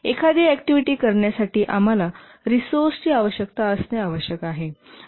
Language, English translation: Marathi, To do an activity, we must have a resource requirement